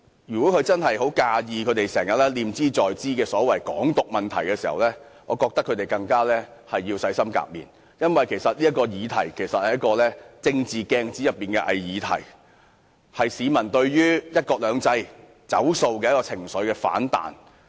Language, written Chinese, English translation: Cantonese, 如果中央真的很介意他們念茲在茲的所謂"港獨"問題，他們更應洗心革面，因為這問題其實是政治鏡子內的偽議題，是市民對"一國兩制"不兌現的情緒反彈。, If the Central Authorities are really bothered by the so - called Hong Kong independence issue which is always on their minds they should earnestly mend their ways . This issue is actually a pseudo - proposition in the political mirror . It is a backlash of public sentiment against the dishonouring of the promise of one country two systems